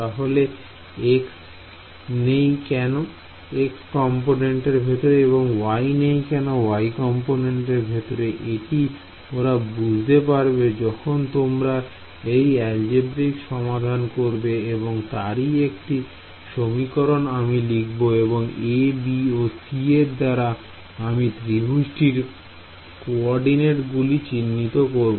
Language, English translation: Bengali, Why is there no x in the x component and no y in the y component that is just how it turns out once you do the algebra ok, I am writing down the final form, but if you I mean these a i’s small a small b small c they all have the cord coordinates of the triangle inside it right